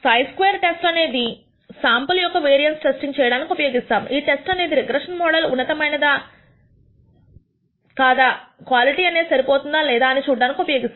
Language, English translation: Telugu, The chi square test is used for testing the variance of a sample and the vari ance of a sample, this test is used to whether a regression model is high is good or not, whether acceptable quality or not